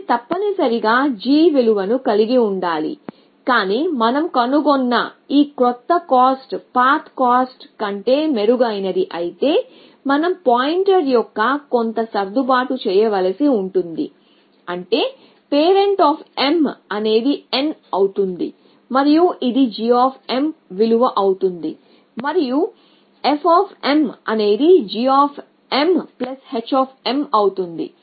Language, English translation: Telugu, So, it is must be having a g value, but if this new cost that we have found is better than the old cost, then we have to do some readjusting of pointer which is that parent of m becomes n and g of m becomes this value